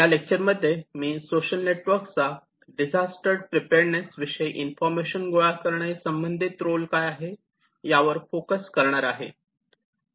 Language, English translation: Marathi, In this lecture, I will focus on what is the role of social networks to collect information that is necessary for disaster preparedness